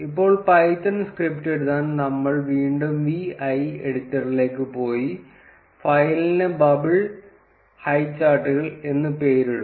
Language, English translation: Malayalam, Now, to write the python script, we will again go to the vi editor and name the file as bubble highcharts